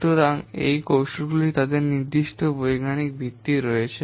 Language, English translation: Bengali, So, these techniques, they have certain scientific basis